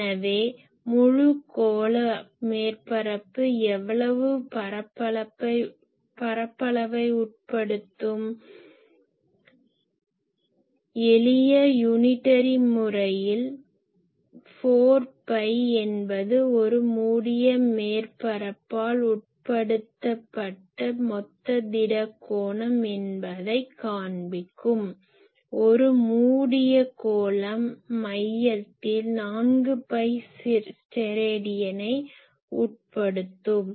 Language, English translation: Tamil, So, the whole spherical surface whole close surface that will subtend how much area ; simple unitary method will show you that 4 pi Stedidian is the total solid angle that is subtended by a closed surface , a closed sphere will subtend at the centre 4 pi Stedidian